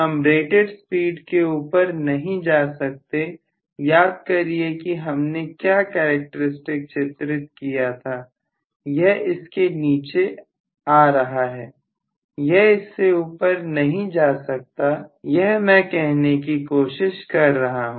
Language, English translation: Hindi, I cannot go beyond rated speed, please remember what we have drawn as the characteristics, it is only coming below it cannot go above that is what I am trying to say